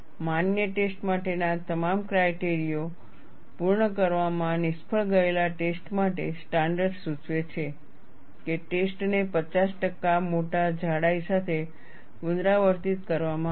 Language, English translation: Gujarati, For tests that fail to meet all of the criteria for a valid test, the standard suggests that, the test be repeated with a specimen 50 percent larger in thickness